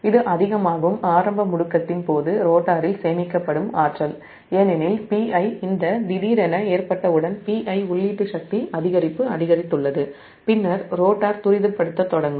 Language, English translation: Tamil, this is that excess energy stored in the rotor during the initial acceleration, because as soon as this p i suddenly load has increased input power, increase to p i, then rotor will start accelerating